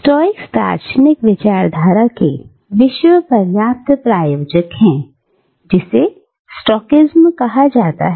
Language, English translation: Hindi, Now, Stoics are practitioners of a philosophy, or a worldview, which is referred to as Stoicism